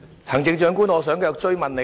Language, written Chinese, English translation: Cantonese, 行政長官，我想繼續追問。, Chief Executive I want to ask one further question